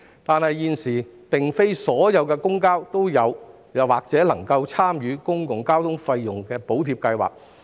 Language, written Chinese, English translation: Cantonese, 然而，現時並非所有公交皆正在或已能參與公共交通費用補貼計劃。, However not all public transport operators are taking part or able to take part in PTFSS